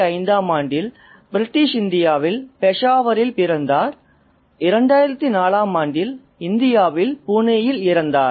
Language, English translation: Tamil, He was born in 1905 in Peshawar in British India and he died in 2004 in Pune in India